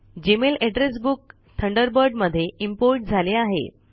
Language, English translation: Marathi, The Gmail Address Book is imported to Thunderbird